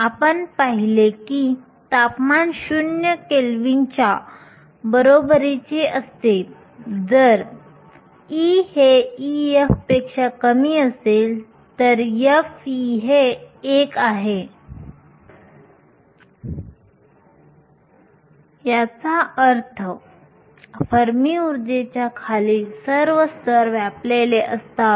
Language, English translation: Marathi, We saw that temperature equal to zero Kelvin, if E is less than E f, f of E is 1, which means all the levels below the fermi energy are occupied